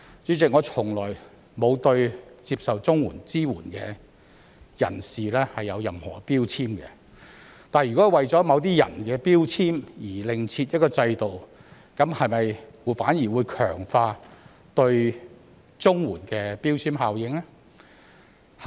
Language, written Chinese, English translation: Cantonese, 主席，我從來沒有對接受綜援支援的人士有任何標籤，但如果為了某些人的標籤而另設一個制度，這樣會否反而強化對綜援的標籤效應？, President I have never put any label on CSSA recipients . That said if we have to establish another system due to the labels put by some people will it further reinforce the labelling effect on CSSA on the contrary?